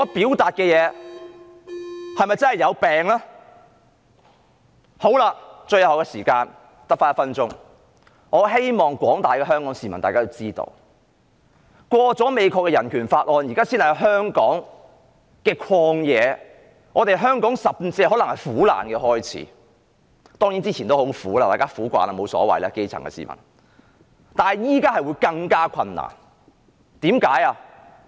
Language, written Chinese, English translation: Cantonese, 最後，我餘下只有1分鐘發言時間，我希望廣大的香港市民知道，美國通過《香港人權與民主法案》，現在才是香港的"曠野"，對香港來說甚至可能是苦難的開始，當然在此之前也很苦，可能基層市民已經習慣，也沒所謂了，但現在會更加困難，為甚麼？, I hope that all Hong Kong people will know that with the passage of the Hong Kong Human Rights and Democracy Act in the United States Hong Kong has stepped into the Wilderness only now and to Hong Kong it may even be the start of sufferings . Certainly we have already suffered badly and perhaps the grass - roots people have already grown accustomed to sufferings and this is no big deal to them . But the situation will be more difficult from now on